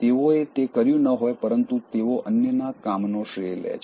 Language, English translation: Gujarati, They didn’t do it, but then they take the credit of others’ work